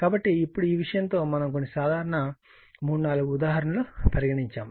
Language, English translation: Telugu, So, in the now with this thing, we will take few simple your simple example three four example